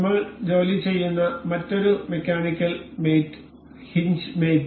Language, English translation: Malayalam, Another mechanical mate we will work on is hinge mate